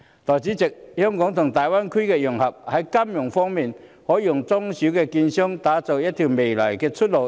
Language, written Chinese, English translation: Cantonese, 代理主席，香港和大灣區融合，在金融方面，應可為中小券商的未來打出一條出路。, Deputy President in the financial aspect the integration of Hong Kong and the Greater Bay Area should be able to forge a new path for the future of small and medium securities dealers